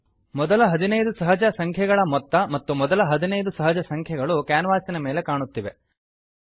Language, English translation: Kannada, A series of sum of first 15 natural numbers and sum of first 15 natural numbers is displayed on the canvas